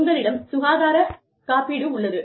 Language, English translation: Tamil, You have health insurance